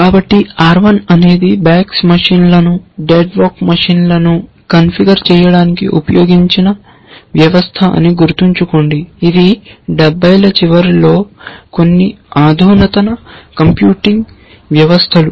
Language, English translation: Telugu, So, remember R 1 was the system which was used to configure bags machines, deck vack machines which was some of the most advanced computing systems at that time which was in the late 70s